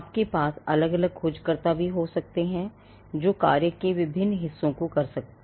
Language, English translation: Hindi, You could also have different searchers doing different parts of the job